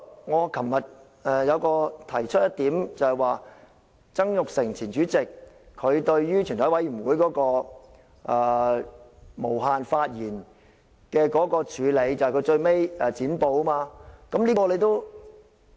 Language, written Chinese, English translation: Cantonese, 我昨天提出一點，便是前主席曾鈺成對於全體委員會無限發言的處理方法，便是最後"剪布"。, I raised a point yesterday . I mentioned that Mr Jasper TSANG our former President chose to cut the filibusters when Members made an unlimited number of speeches in a Committee of the Whole Council